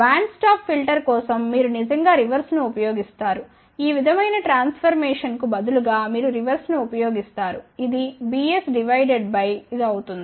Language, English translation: Telugu, For band stop filter you actually use reverse of that so, instead of s transformation like this you use reverse of that